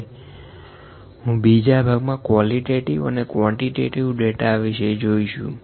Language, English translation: Gujarati, I will move to the next part qualitative versus quantitative data